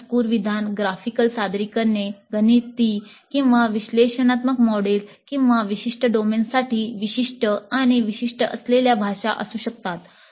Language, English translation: Marathi, They can be textual statements, graphical representations, mathematical or analytical models, or languages which are very specific and unique to a particular domain